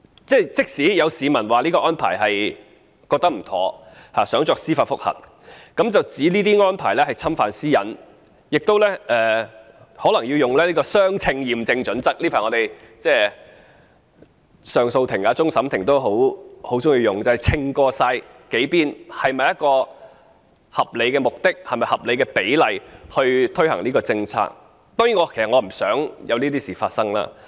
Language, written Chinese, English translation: Cantonese, 即使有市民覺得這項安排不妥當，想提出司法覆核，指這些安排侵犯私隱，他們亦可能要達致相稱的驗證準則——近期上訴法庭或終審法院也經常採用這項準則，即衡量在數方面是否有合理的目的和合理的比例來推行某項政策——當然，我其實不想看到這種事情發生。, Even if there are members of the public who have misgivings about the arrangement and wish to apply for judicial review against it on the ground of privacy infringement they may have to lay down arguments that would satisfy the proportionality test―a criterion often adopted recently by the Court of Appeal and the Court of Final Appeal which involves the examination of several aspects of a certain policy in its implementation to see if it is rational in terms of both purpose and proportionality―Well I actually do not wish to see this happen